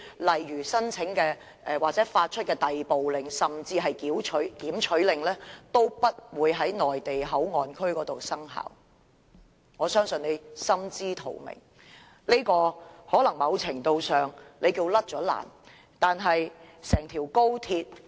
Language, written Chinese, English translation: Cantonese, 例如申請或發出的逮捕令甚至是檢取令皆不會在內地口岸區生效，我相信他也心知肚明，屆時他在某程度上已經脫險了。, For instance even if you manage to apply for or are issued an arrest order or seizure order such an order is not applicable in the Mainland Port Area MPA . I believe an offender knows that he is to a certain extent off the hook if he manages to get to the MPA